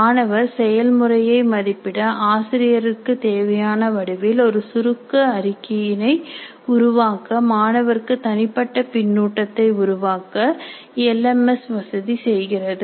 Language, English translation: Tamil, The LMS can also facilitate the evaluation of student performances, generate a summary report in the format required by the teacher and help in generating personalized feedback to the students